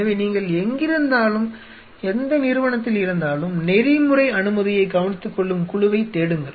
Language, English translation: Tamil, So, which wherever and which So, where institute you are look for the committee which takes care of the ethical clearance